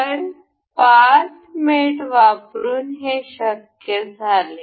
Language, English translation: Marathi, So, this was possible by using path mate